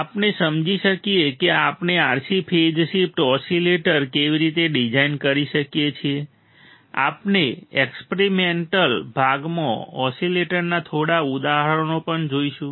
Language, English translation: Gujarati, We can understand how we can design an RC phase shift oscillator we will also see few examples of the oscillator in the experimental part